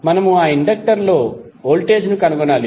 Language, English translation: Telugu, We need to find the voltage across that inductor